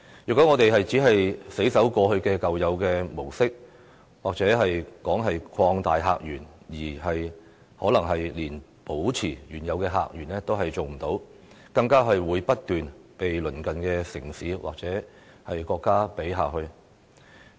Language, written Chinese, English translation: Cantonese, 如果我們只是死守舊有的模式，莫說擴大客源，可能連保持原有的客源也做不到，更會不斷被鄰近城市或國家比下去。, Should we only cling to the existing models we may not even be able to retain the original sources of visitors let alone opening up new sources and will continuously be outdone by neighbouring cities or countries